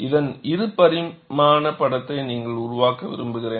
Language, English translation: Tamil, And I would like you to make a two dimensional sketch of this